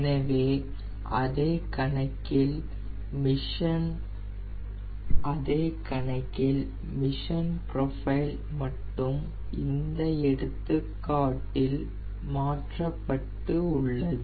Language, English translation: Tamil, so same same problem, only ah, mission profile has been changed in this example